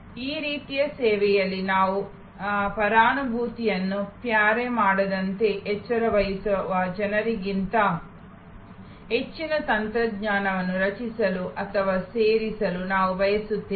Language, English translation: Kannada, In this kind of service, we will like to create or rather induct more technology rather than people that we careful that we do not pare empathy